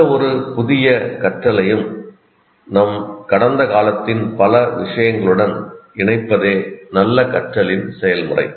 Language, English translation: Tamil, So the process of good learning is to associate any new learning to many things from our past